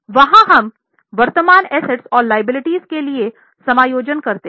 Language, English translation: Hindi, There we make adjustment for current assets and liabilities